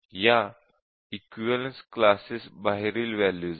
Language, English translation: Marathi, So, these are values outside the equivalence classes